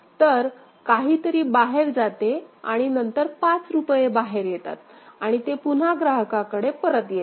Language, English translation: Marathi, So, something goes out and then rupees 5 comes out and it is again returned to the customer ok